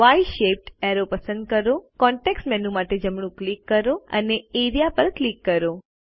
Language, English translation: Gujarati, Select the Y shaped arrow, right click for the context menu and click Area